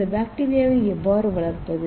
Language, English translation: Tamil, So how to grow this bacteria